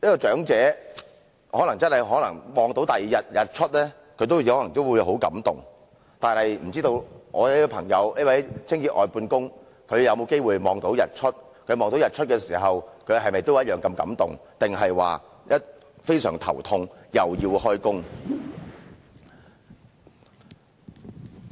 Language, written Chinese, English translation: Cantonese, "長者看到第二天的日出可能也會很感動，但不知道我這位清潔外判工朋友有沒有機會看到日出？他看到日出時是否也同樣如此感動，還是感到非常頭痛，又要開工？, Elderly persons can be overwhelmed by the sunrise in a new day but I am unsure if this outsourced cleaner friend of mine ever has a chance to see the sunrise and whether he will be the same overwhelmed or feeling a headache instead because it is time for him to start work